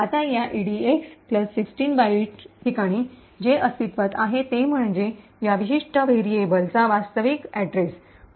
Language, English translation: Marathi, Now at this location EDX plus 16 bytes, what is present is the actual address of this particular variable